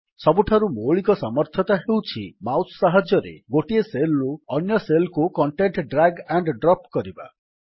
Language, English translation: Odia, The most basic ability is to drag and drop the contents of one cell to another with a mouse